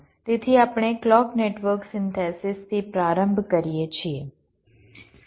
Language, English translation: Gujarati, ok, so we start with clock network synthesis